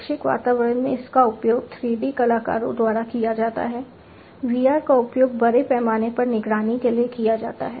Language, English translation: Hindi, In educational environments it is used by 3D artists, VR are used for mass surveillance also you know VR has found applications